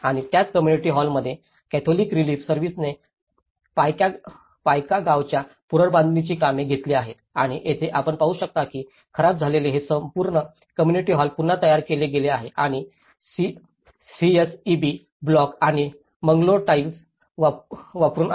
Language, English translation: Marathi, And the same community hall, the Catholic Relief Services has taken the reconstruction activity of the Paika village and here you can see that this whole community hall which has been damaged has been reconstructed and using the CSEB blocks and the Mangalore tiles